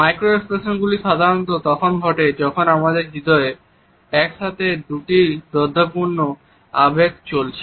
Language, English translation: Bengali, Micro expressions occur normally when there are two conflicting emotions going on in our heart simultaneously